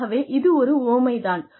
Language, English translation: Tamil, So, this is metaphorical